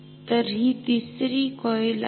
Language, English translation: Marathi, So, this is the 3rd coil ok